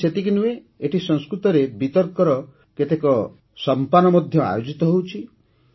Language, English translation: Odia, Not only this, many debate sessions are also organised in Sanskrit